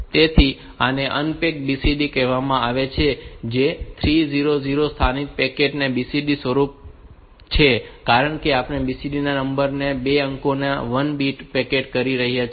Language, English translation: Gujarati, So, this is called packed BCD form the 3000 local packed BCD formed, because we are packing 2 digits of BCD number into 1 bit